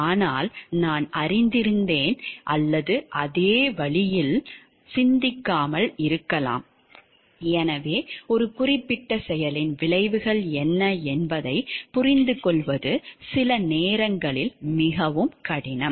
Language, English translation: Tamil, But may or may not think in the same way, so it is very difficult sometimes to understand like what exactly are the consequences of a particular action